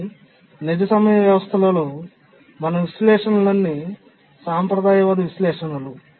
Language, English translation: Telugu, But then in the real time systems, all our analysis are conservative analysis